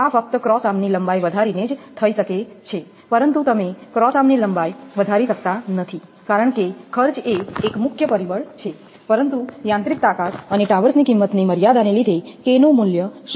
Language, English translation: Gujarati, This can be done only by increasing the length of the cross arm, but you cannot increase the length of the cross arm, because cost is a major factor, but due to the limits and limitation of mechanical strength and cost of towers right, the value of K cannot be reduce to less than 0